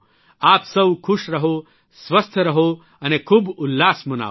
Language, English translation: Gujarati, You all be happy, be healthy, and rejoice